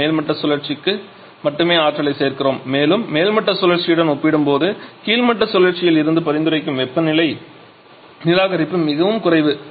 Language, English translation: Tamil, We are adding energy only to the topping cycle and also referral heat rejection from the bottoming cycle is much lesser compared to the topping cycle